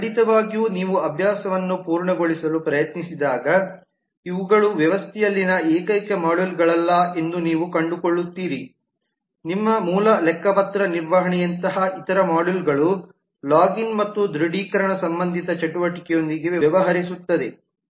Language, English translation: Kannada, of course when you try to complete the exercise you will find that these are not the only modules in the system there would be other modules like your basic accounting maintenance has to be a login module which deals with the login and authentication related activity